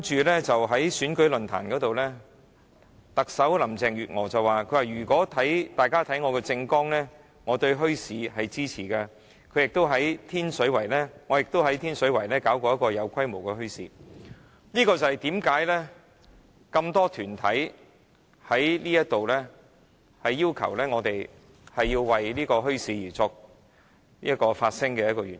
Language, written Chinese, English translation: Cantonese, 其後在選舉論壇上，特首林鄭月娥說如果大家有看她的政綱，會知道她對墟市是支持的，她亦曾在天水圍舉辦一個有規模的墟市，這便是多個團體要求我們在此為墟市發聲的一個原因。, At a forum of election held later Chief Executive Carrie LAM said that people would after reading her manifesto know that she supported the establishment of bazaars and she had once organized a large scale bazaar in Tin Shui Wai . That is one of the reasons why many organizations have requested us to speak for the establishment of bazaars here